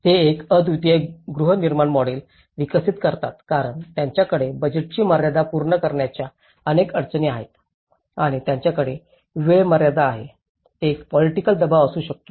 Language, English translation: Marathi, They end up developing a unique housing model because they have many other challenges including the budget constraints they have to finish and they have the time limitation, there could be a political pressure